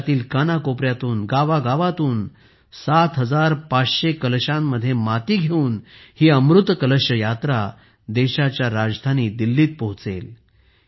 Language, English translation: Marathi, This 'Amrit Kalash Yatra' carrying soil in 7500 urns from every corner of the country will reach Delhi, the capital of the country